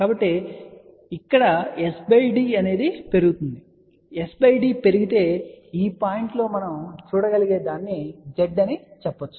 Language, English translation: Telugu, So, one can see that here s by d is increasing, so as s by d increases what we can see at this point you can say Z